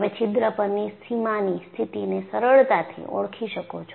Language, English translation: Gujarati, You can easily identify the boundary condition on the hole